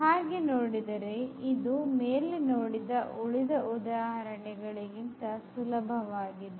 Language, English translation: Kannada, So, this is much simpler than the earlier examples